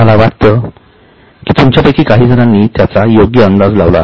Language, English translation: Marathi, I think some of you have guessed it correct